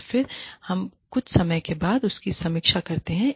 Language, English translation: Hindi, And then, we revisit it, review it, after a while